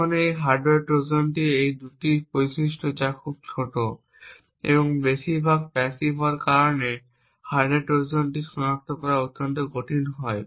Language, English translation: Bengali, Now these two properties of a hardware Trojan that being very small and also mostly passive makes hardware Trojans extremely difficult to detect